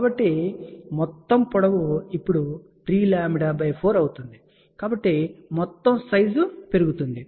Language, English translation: Telugu, So, the total length becomes now 3 lambda by 4 so, by overall size increases